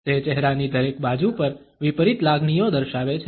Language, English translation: Gujarati, It shows opposite emotions on each side of the face